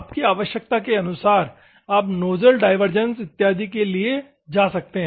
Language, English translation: Hindi, According to your requirement, you can go for nozzle divergence and other things